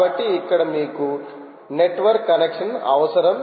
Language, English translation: Telugu, you need a network connection